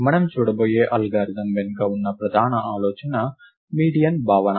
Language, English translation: Telugu, The main idea behind the algorithm that we are going to look at is the concept of a median